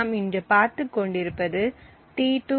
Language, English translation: Tamil, So, we are looking at t2